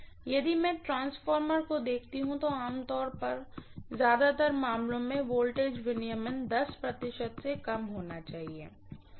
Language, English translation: Hindi, If I look at a transformer, normally the voltage regulation has to be less than 10 percent, in most of the cases